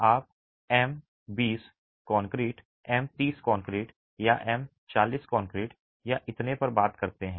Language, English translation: Hindi, You are familiar with concrete, you talk of m20 concrete, m30 concrete or m40 concrete or so on